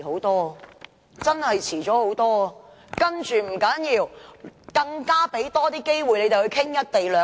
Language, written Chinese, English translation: Cantonese, 但這也不要緊，因為他們有更多機會討論"一地兩檢"。, But never mind about that for they could have more opportunities to discuss the co - location arrangement